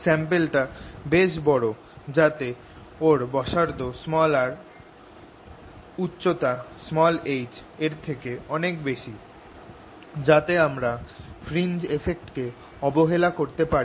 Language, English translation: Bengali, the sample is large enough such that its radius r is much, much, much greater than its height let's say h, so that i can ignore the fringe effects